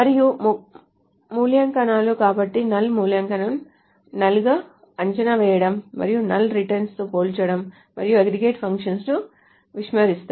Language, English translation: Telugu, And evaluation, so result of expressions involving null, evaluate to null, and comparison with null returns unknown, plus the aggregate functions ignore null